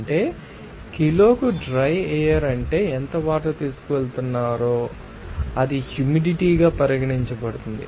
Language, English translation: Telugu, That means per kg dry air is how much water is being carried that will be regarded as humidity